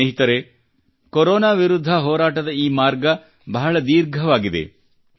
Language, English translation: Kannada, the path of our fight against Corona goes a long way